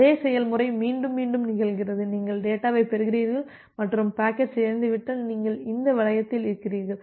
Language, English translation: Tamil, And the same process gets repeated, that if you are receiving the data and the packet is corrupted, you are in this loop